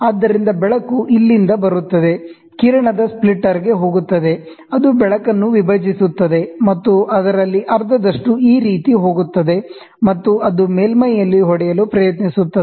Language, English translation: Kannada, So, the light comes from here, goes to the beam splitter, it splits the light and half of it goes this way, and it tries to hit at the surface